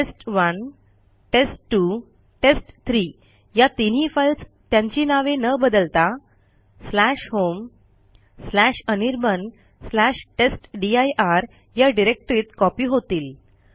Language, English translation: Marathi, This will copy all the three files test1,test2 and test3 to the directory /home/anirban/testdir without changing their names